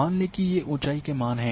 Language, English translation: Hindi, Assume these are the elevation values